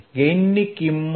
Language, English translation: Gujarati, gain is 0